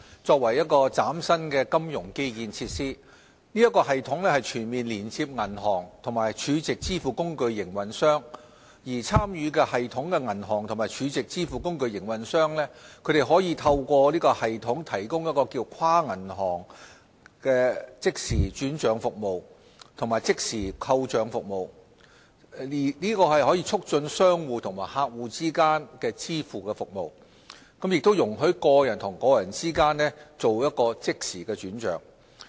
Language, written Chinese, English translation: Cantonese, 作為嶄新的金融基建設施，此系統全面連接銀行和儲值支付工具營運商，參與系統的銀行及儲值支付工具營運商可透過系統提供跨行即時轉帳服務及即時扣帳服務，促進商戶和客戶之間的支付服務，亦容許個人和個人之間即時轉帳。, As a new financial infrastructure FPS will provide full connectivity between banks and stored value facility SVF operators . Through FPS participating banks and SVF operators can provide real - time credit transfer and real - time direct debit services to facilitate payments between merchants and customers as well as peer - to - peer fund transfers